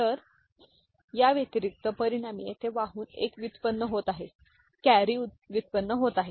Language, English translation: Marathi, So, in that addition result here carry one is generated, ok